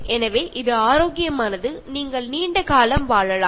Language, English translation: Tamil, So, it is healthy, and you live longer